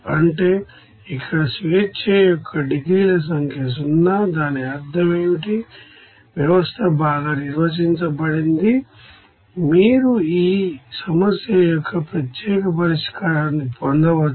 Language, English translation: Telugu, That means here number of degrees of freedom it is 0, what does it mean, the system is well defined you can get the unique solution of this problem